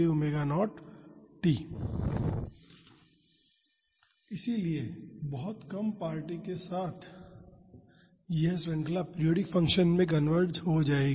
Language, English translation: Hindi, So, with very few terms this series will converge to the periodic function